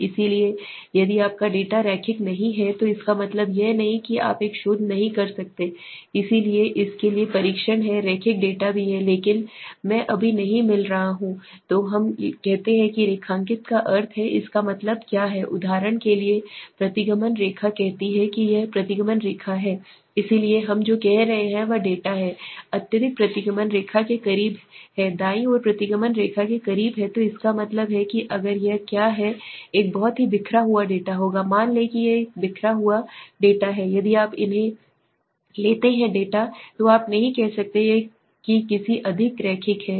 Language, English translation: Hindi, So if your data is not linear does not means that you cannot do a research so there are test for linear data also but I am not getting into right now, so let say form linearity that means what in a regression line for example let say this is a regression line so what we are saying is the data is highly is close to the regression line right is close to the regression line so that means what if it would be a very highly scattered the data let say this is a scatter data now that if you take these data then you cannot say it is any more linear